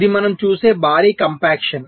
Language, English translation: Telugu, its a huge compaction